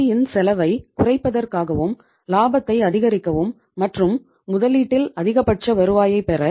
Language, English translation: Tamil, To minimize the financial cost, maximize the profitability and to earn the maximum return on the investment